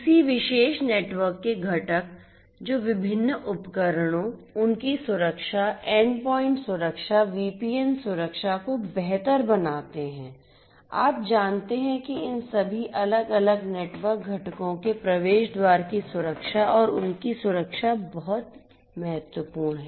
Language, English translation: Hindi, Components in a particular network which improves the different devices, their security endpoint security, VPN security, you know the gateway security all of these different network components and their security are very important